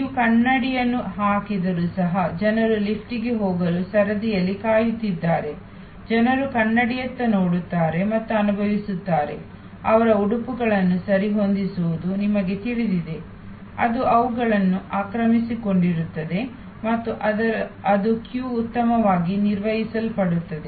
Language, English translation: Kannada, It has been observe that, even if you just put a mirror, where people wait to in queue to get in to the elevator, people look in to the mirror and feel, you know adjust their dresses, etc, that keeps them occupied and that queue is better managed